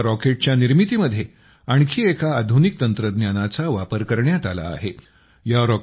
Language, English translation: Marathi, Another modern technology has been used in making this rocket